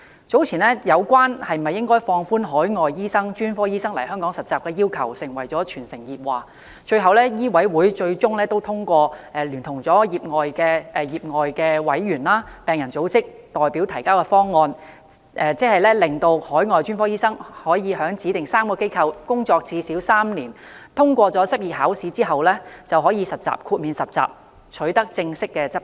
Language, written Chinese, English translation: Cantonese, 早前有關應否放寬海外專科醫生來港實習的要求成為全城熱話，最終香港醫務委員會通過聯同業外委員及病人組織代表提交的方案，即海外專科醫生可在指定3間機構工作最少3年，在通過執業考試後便可以豁免實習，取得正式執照。, Earlier the question of whether overseas specialist doctors should be exempted from internship requirements in Hong Kong was the talk of the town . In the end the Hong Kong Medical Council endorsed the proposal raised by its lay members and patients organizations . This means that an overseas specialist doctor may be exempted from internship requirements and obtain a formal practice licence if he has served in the three specified organizations for at least three years and has passed the licensing examination